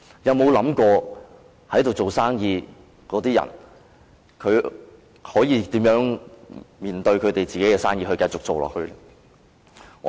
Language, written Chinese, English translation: Cantonese, 有否想過在那裏做生意的人可以如何面對自己那盤生意，並繼續做下去？, Did it ever think about how the people doing business there could face their own business and go on with it?